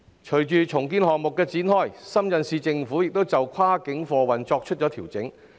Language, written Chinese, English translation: Cantonese, 隨着重建項目展開，深圳市政府亦調整跨境貨運安排。, With the commencement of the redevelopment project the Shenzhen Municipal Government has also adjusted its cross - border freight arrangements